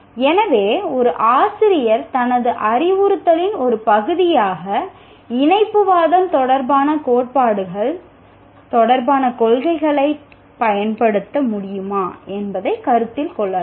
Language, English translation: Tamil, So a teacher can consider whether one can use principles related to theories related to connectivism as a part of his instruction